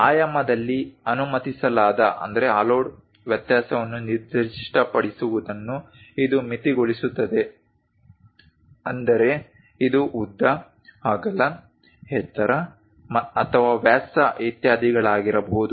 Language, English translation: Kannada, It limits specifying the allowed variation in dimension; that means, it can be length width, height or diameter etcetera are given the drawing